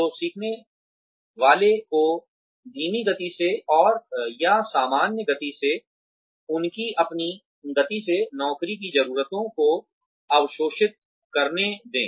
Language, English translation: Hindi, So, let the learner absorb, the needs of the job, at a slow pace, and or, at a normal pace, at his or herown speed